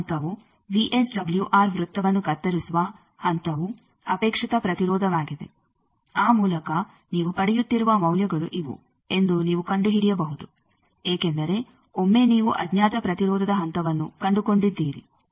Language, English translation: Kannada, That next step the point where VSWR circle is the cut is the desired impedance; by that you can find out that these will be the values you are getting because once you have found out the point of unknown impedance